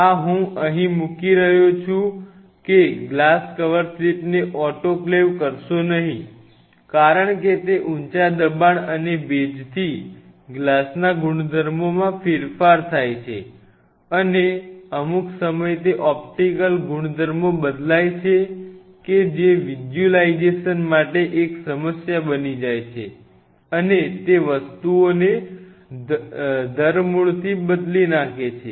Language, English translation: Gujarati, This is the do not I am just putting it do not autoclave do not ever autoclave glass cover slips do not because it changes the property because of the high pressure and that moisture it changes the properties of the glass, and at times it changes it is optical properties that visualization becomes a problem and it changes things drastically